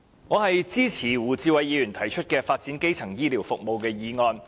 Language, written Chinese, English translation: Cantonese, 我支持胡志偉議員提出的"發展基層醫療服務"的議案。, I support Mr WU Chi - wais motion on Developing primary health care services